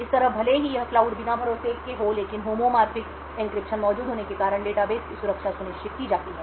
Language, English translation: Hindi, In this way even though this cloud is un trusted the security of the database is ensured because of the homomorphic encryption present